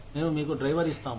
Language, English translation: Telugu, We will give you a driver